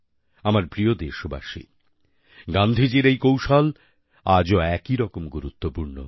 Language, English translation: Bengali, My dear countrymen, one of Gandhiji's mantras is very relevant event today